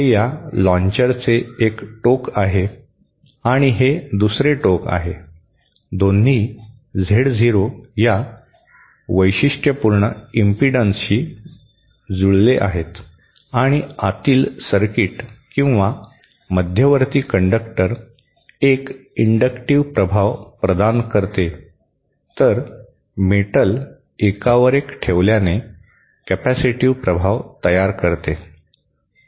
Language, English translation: Marathi, This is one end of this launcher, say this and and this is the other end, both are matched to Z0 characteristic impedance and the the inner circuit or the central conductor provides an inductive effect whereas the metal stack one over another produces a capacitive effect